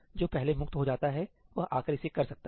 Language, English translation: Hindi, Whoever gets free earlier can come and do it